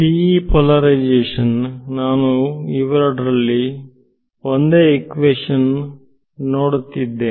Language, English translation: Kannada, So, the TE polarization I am just looking at one of these equations ok